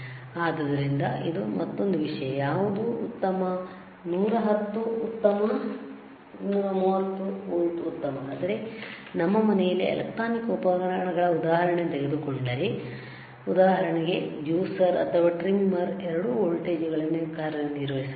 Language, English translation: Kannada, So, the point is that that is also another topic that which one is better 110 is better 230 volts is better, but if you if you take a example of a electronic equipment at our home, for example, juicer or a trimmer, it can operate on both the voltages